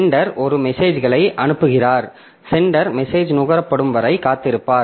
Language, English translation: Tamil, So, sender sends a message and the sender will be waiting for the message to be consumed